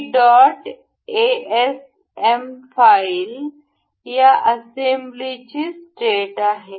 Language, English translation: Marathi, This dot asm file is the state of this assembly